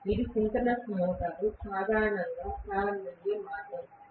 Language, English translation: Telugu, That is the way synchronous motor is generally started